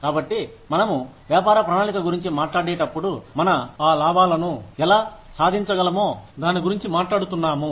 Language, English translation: Telugu, So, when we talk about a business plan, we are talking about, how we can achieve those profits